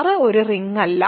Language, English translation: Malayalam, R is a ring